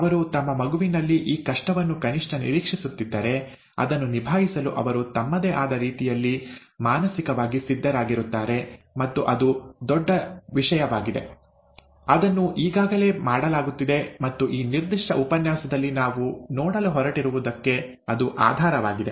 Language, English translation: Kannada, They will be atleast expecting this difficulty in their child, they would be mentally prepared to handle it and so on and so forth in , in their own ways, and that would be, that is a big thing, that is already being done, and that is a very big thing and the basis for that is what we are going to see in this particular lecture